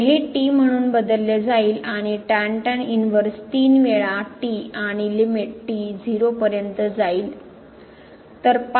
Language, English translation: Marathi, So, this is substituted as and then, inverse three times and the limit approaches to 0